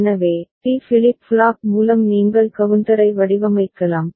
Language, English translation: Tamil, So, with D flip flop also you can design the counter